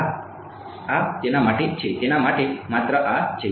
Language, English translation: Gujarati, Yeah this is for that for its for this only